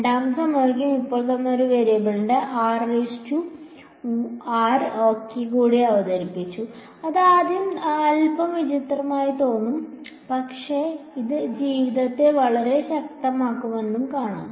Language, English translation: Malayalam, The second equation now I have introduced one more variable r prime ok, which will seem little strange at first, but will see it will make life very powerful